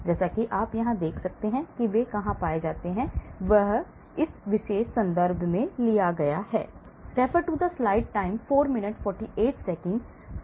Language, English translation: Hindi, as you can see here where they are found, this is taken from this particular reference